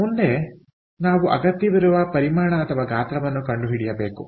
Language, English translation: Kannada, next, we had to find out what is the volume that is required